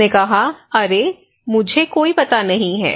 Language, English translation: Hindi, He said hey, I have no idea man, I do not know